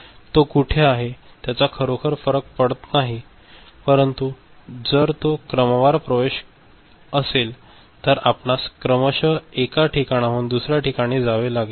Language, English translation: Marathi, It does not really matter where it is there, but if it is a sequential access then it has to move you know, sequentially from one place to another